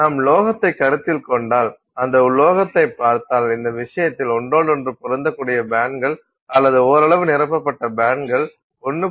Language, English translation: Tamil, If you consider a matter, so if you look at a metal in this case either with overlapping bands or with partially filled bands, both at 1